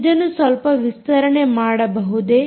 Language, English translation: Kannada, can you expand this a little bit